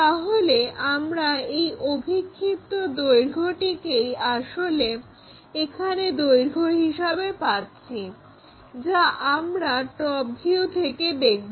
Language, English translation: Bengali, So, the actual length what we are going to see is this projected length, that is we are going to see it in a top view